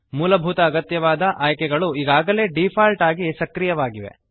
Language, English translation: Kannada, The basic required options are already activated by default